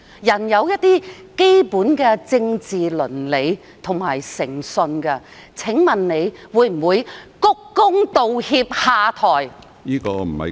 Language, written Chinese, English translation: Cantonese, 人應當顧及基本的政治倫理和具有誠信，請問你會否鞠躬、道歉、下台？, We should have regard to basic political ethics and be a person of integrity . Will you bow apologize and step down?